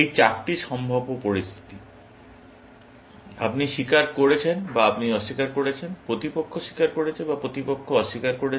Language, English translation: Bengali, These are the four possible situations; you confess, or you denied, opponent confesses, or opponent denied